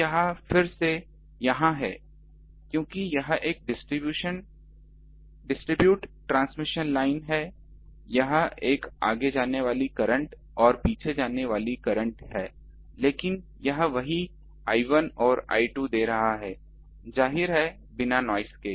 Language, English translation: Hindi, So, again this is now here due to since it is a distributed transmission line, here is a forward going current wave and backward going current wave, but that is giving that I 1 and I 2 same; obviously, without noise